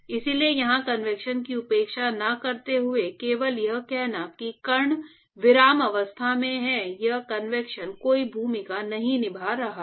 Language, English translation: Hindi, So, not neglecting convection here only saying that the particles are at rest therefore, convection is not playing any role here